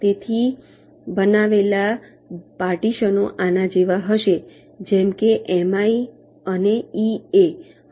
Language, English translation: Gujarati, so the partitions created will be like this: hm, like this: m i n e a